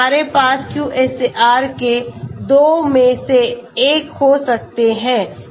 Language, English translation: Hindi, 254, so we can have two either one of the QSAR’s